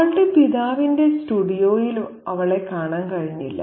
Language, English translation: Malayalam, She was hardly to be seen in her father's studio